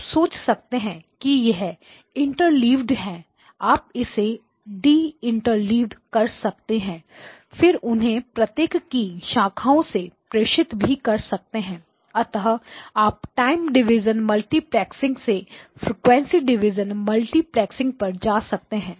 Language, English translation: Hindi, So basically you can think of them as interleaved, you deinterleave them pass it through each of those branches and then what you get here at this point so from time division multiplexing you go to frequency division multiplexing